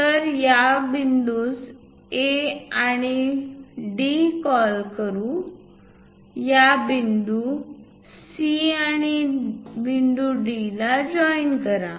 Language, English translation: Marathi, So, let us call points these as C and D; join these points C and D